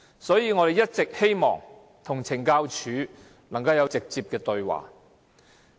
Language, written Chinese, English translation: Cantonese, 所以，我們一直也希望與懲教署作直接對話。, Therefore we always like to have a direct dialogue with the CSD